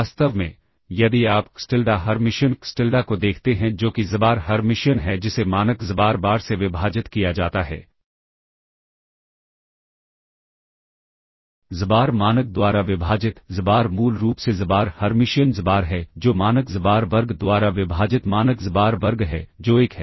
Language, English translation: Hindi, In fact, if you look at xTilda Hermitian xTilda that is xbar Hermitian divided by norm xbar times, xbar divided by norm, xbar is basically xbar Hermitian xbar that is norm xbar square divided by norm xbar square which is 1